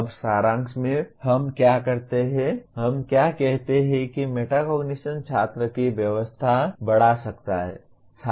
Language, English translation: Hindi, Now in summary, what do we, what do we say metacognition can increase student engagement